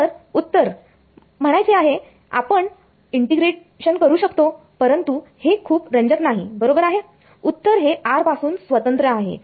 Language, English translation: Marathi, So, the answer I mean we can do this integration, but it's not very interesting right the answer is independent of r